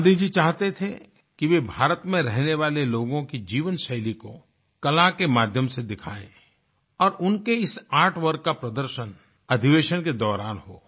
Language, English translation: Hindi, It was Gandhiji's wish that the lifestyle of the people of India be depicted through the medium of art and this artwork may be exhibited during the session